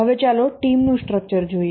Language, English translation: Gujarati, Now let's look at the team structure